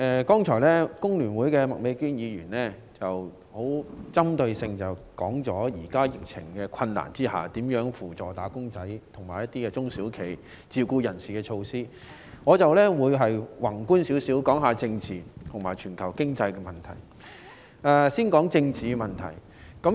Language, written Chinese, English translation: Cantonese, 剛才香港工會聯合會的麥美娟議員的發言針對在當前的疫情下，扶助"打工仔"、中小企和自僱人士的一些措施，而我的發言則會宏觀地討論政治和全球經濟的問題。, Just now Ms Alice MAK from the Hong Kong Federation of Trade Unions FTU has made a speech focusing on some supportive measures for workers small and medium enterprises and self - employed persons during the present epidemic . And in my speech I will discuss political issues and global economic problems from a broad perspective